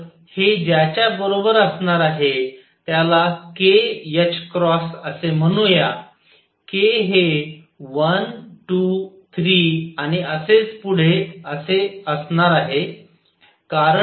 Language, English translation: Marathi, So, this is equal to let us call it k h cross k equals 1 2 3 and so on